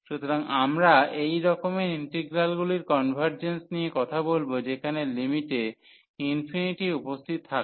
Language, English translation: Bengali, So, we will be talking about the convergence of such integrals where infinity appears in the in the limit